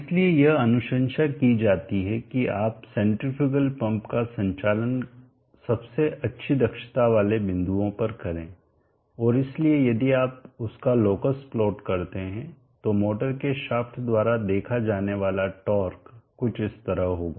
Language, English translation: Hindi, So therefore it is recommended that you operate the centrifugal pump at this points of best efficiency points and therefore if you plot the locus of that the torque that should be seen the shaft of the motor will be something like this so this torque is proportional to